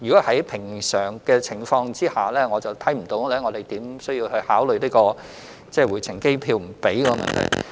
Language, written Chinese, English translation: Cantonese, 在正常情況下，我看不到我們可以考慮僱主不支付回程機票的問題。, Under normal circumstances I do not see that we can consider allowing the employer not to pay for the return ticket